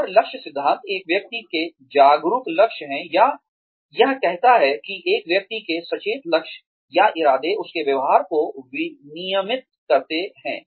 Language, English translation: Hindi, s conscious goals, or, it says that, an individual's conscious goals, or intentions, regulate his or her behavior